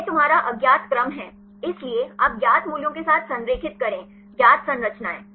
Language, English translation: Hindi, This is your unknown sequence; so, you align with the known values; known structures